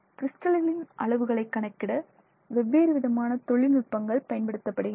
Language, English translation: Tamil, Different techniques can be used to estimate the sizes of the crystals produced of the crystals